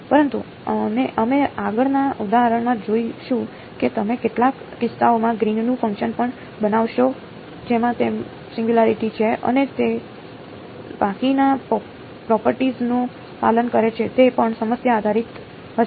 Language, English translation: Gujarati, But, we will see in the next example that you will in some cases even construct a Green’s function which has a singularity in it and it obeys the rest of the properties also it will be problem dependent